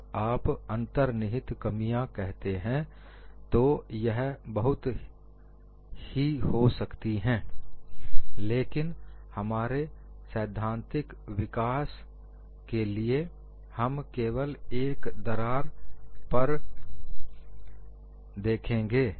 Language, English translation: Hindi, When you say inherent flaw, there may be many, but for all our theoretical development, we just use only one crack